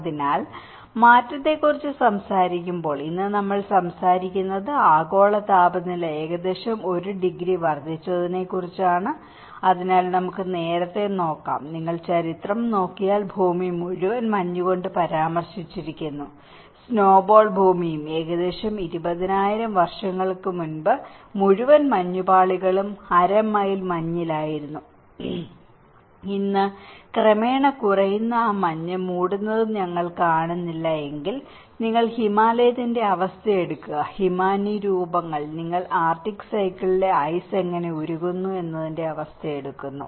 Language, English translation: Malayalam, So, when we talk about the change, today we are talking about the global temperature has increased about 1 degree right, so let us see earlier, if you look at the history of the whole earth is referred with the snow; the snowball earth and about in the ice age, 20,000 years ago the whole thing was in half a mile of ice and today, if you see we hardly see that snow cover that is also gradually reducing, you take the conditions of Himalayas, the glacier formations, you take the conditions of the arctic circle how the ice is melting